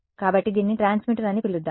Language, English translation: Telugu, So, let us call this is the transmitter